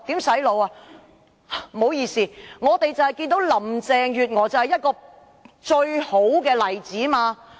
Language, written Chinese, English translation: Cantonese, 不好意思，林鄭月娥便是最佳例子。, I am sorry but I would say Carrie LAM is the best example